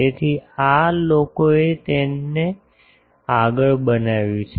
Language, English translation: Gujarati, So, this people have further make it